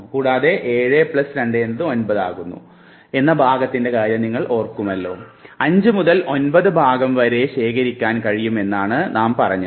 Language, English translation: Malayalam, The concept of chunk that we talked about 7 plus minus 2; 7 minus 2 will be 5 and 7 plus 2 will be 9 you remember in chunk, we said 5 to 9 chunks can be stored